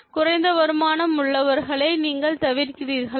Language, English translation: Tamil, Do you avoid people who have low means of income